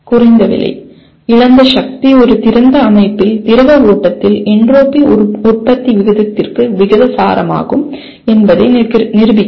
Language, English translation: Tamil, Prove that lost power is proportional to entropy generation rate in the fluid flow in an open system